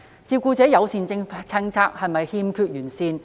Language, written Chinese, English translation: Cantonese, 照顧者友善政策是否欠完善？, Is the carer - friendly policy inadequate?